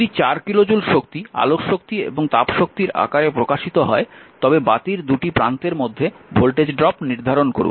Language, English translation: Bengali, If 4 kilo joule is given off in the form of light and heat energy determine the voltage drop across the lamp